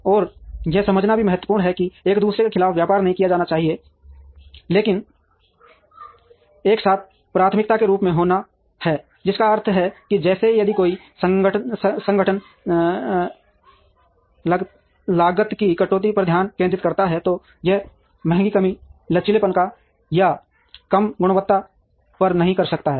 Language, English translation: Hindi, And it is also important to understand that these are not to be traded off against one another, but to be simultaneously prioritized, which means that like if an organization focuses on cost cutting, it cannot do it at the expensive reduced flexibility or reduced quality